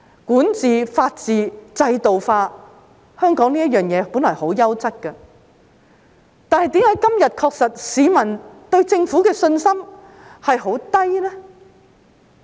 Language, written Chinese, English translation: Cantonese, 管治、法治，制度化，香港這些事情本來十分優質，但為何今天市民對政府的信心確實很低呢？, Governance the rule of law and institutionalization used to be what Hong Kong excelled at but why do the public have so little confidence in the Government today?